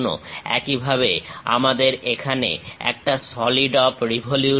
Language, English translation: Bengali, Similarly, here we have solid of revolution